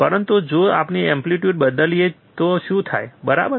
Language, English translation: Gujarati, But what happens if we change the amplitude, right